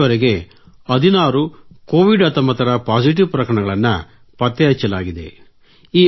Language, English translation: Kannada, Here till date, 16 Covid 19 positive cases have been diagnosed